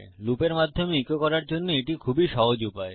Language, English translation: Bengali, Its a really easy way to echo through our loop